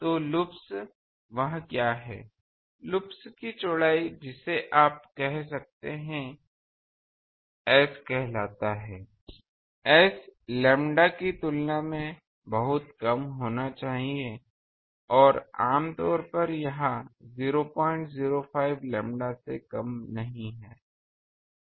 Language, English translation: Hindi, So, loops what is that, loops width you can say is called S and this S is usually, S should be one thing much less than lambda not and usually it is at less than 0